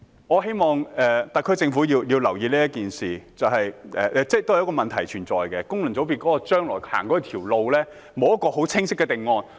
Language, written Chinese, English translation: Cantonese, 我希望特區政府可以留意這事，因為這當中是有問題的，功能界別將來的路沒有很清晰的定案。, I hope the SAR Government can pay attention to this issue because problems do exist and there is not a very clear decision on the way forward for FCs in the future